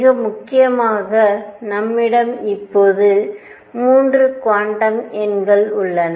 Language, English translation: Tamil, More importantly what we have are now 3 quantum numbers